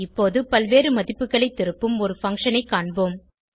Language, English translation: Tamil, Now, let us see a function which returns multiple values